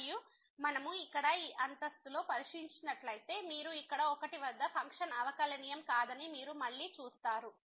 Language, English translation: Telugu, And if we take a look here at this floor, then you again see that at 1 here the function is not differentiable which we have just seen